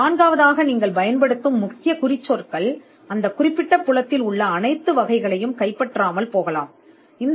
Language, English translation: Tamil, Fourthly the keywords that you use may not cover all or capture all the variants in that particular field